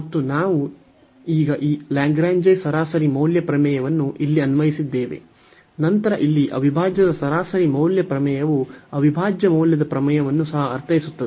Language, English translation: Kannada, And now we will replace all here we have applied this Lagrange mean value theorem, then the mean value theorem for integral here also mean value theorem for integral